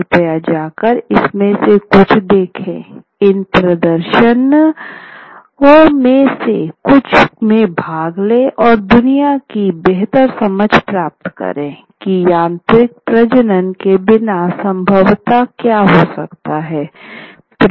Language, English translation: Hindi, Please go and watch some of these, participate in some of these performances to get a better understanding of what a world without a mechanical reproduction could possibly be